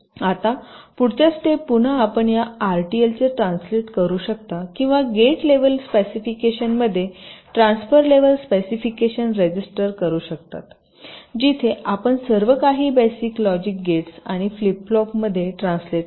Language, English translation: Marathi, now again, in the next step you can translate this r t l or register transfer levels specification to gate level specification, where you translate everything into basic logic gates and flip flops